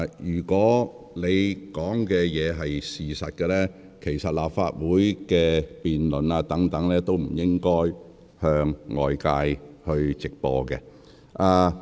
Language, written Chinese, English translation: Cantonese, 如按你所言，其實立法會的辯論或許也不應向外直播。, If what you said is true perhaps the debates in the Legislative Council should not be broadcast live